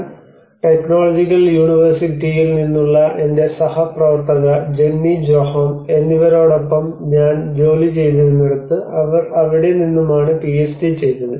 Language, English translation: Malayalam, Nilsson and my colleague Jennie Sjoholm from Lulea Technological University where she did her own PhD as well